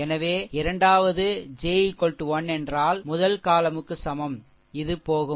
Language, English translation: Tamil, So, that is j is equal to the 3 third column